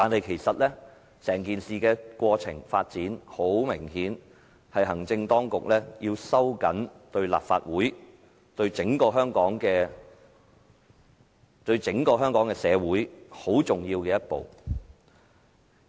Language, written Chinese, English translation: Cantonese, 其實，整件事的過程、發展，明顯是行政當局要收緊立法會，以至整個香港社會的言論空間非常重要的一步。, In fact the entire development is obviously a major step of the executive to constrain the room for speech in the Legislative Council and even the city entirely